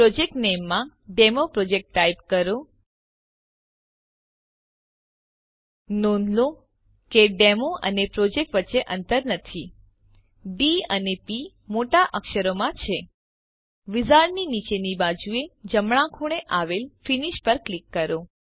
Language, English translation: Gujarati, In the project name ,Type DemoProject (please note that their is no space between Demo and Project D P are in capital letters) Click Finish at the bottom right corner of the wizards